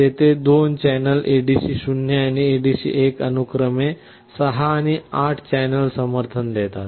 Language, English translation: Marathi, Here there are 2 such channels ADC 0 and ADC1 supporting 6 and 8 channels respectively